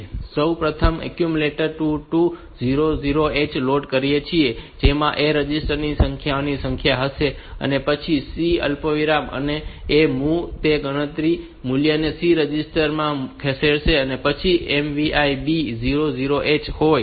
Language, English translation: Gujarati, So, we first load accumulator 2 2 0 0 H that will have the number of numbers in the A resistor, then move C comma A it will move the count value to the C register then MVI B 0 0 H